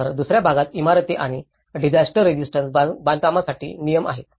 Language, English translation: Marathi, Whereas, in the second part regulations for buildings and disaster resistant construction